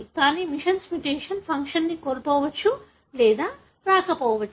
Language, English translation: Telugu, But, missense mutation may or may not result in loss of function